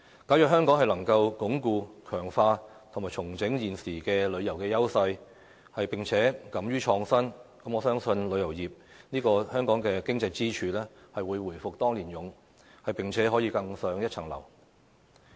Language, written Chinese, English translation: Cantonese, 假如香港能夠鞏固、強化及重整現時的旅遊優勢，並且敢於創新，我相信旅遊業這個香港經濟支柱，會回復當年勇，並且可以更上一層樓。, If Hong Kong can reinforce strengthen and rationalize its existing tourism resources and dares to innovate I believe that the tourism industry which is an economic pillar of Hong Kong will reclaim its past glory and scale even greater heights